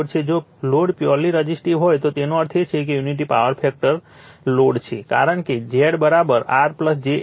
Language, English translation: Gujarati, If load is purely resistive means it is unity power factor load, because Z is equal to say R plus j X